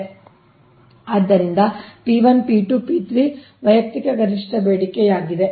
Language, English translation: Kannada, so p one, p two, p three is the individual maximum demand, right